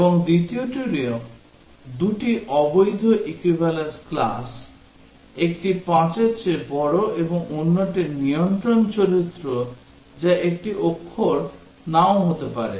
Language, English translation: Bengali, And the second one also two invalid equivalence classes; one is greater than 5 and the other is a control character or may be not a character